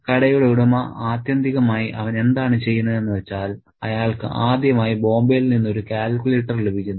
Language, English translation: Malayalam, So, and the owner of the shop ultimately what he does is he gets a calculator from Bombay for the first time